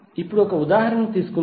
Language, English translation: Telugu, Now let’s take one example